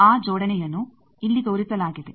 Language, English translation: Kannada, That coupling is shown here